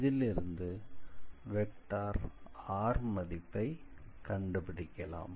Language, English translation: Tamil, So, basically since it is, so this vector is the r